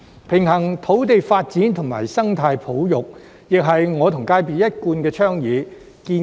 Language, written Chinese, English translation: Cantonese, 平衡土地發展與生態保育亦是我和業界所一貫倡議。, It has also been the consistent advocacy of the industry and me on striking a balance between land development and ecological conservation